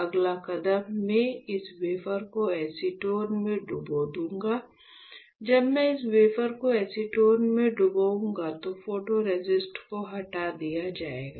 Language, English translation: Hindi, The next step is, I will dip this wafer in acetone; when I dip this wafer in acetone what will happen, the photoresist will be stripped off